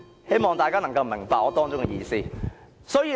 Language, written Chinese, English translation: Cantonese, 希望大家能夠明白我的意思。, I hope Members do understand what I mean